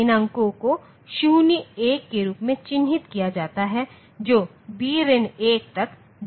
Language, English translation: Hindi, These digits are marked as 0, 1 going up to b minus 1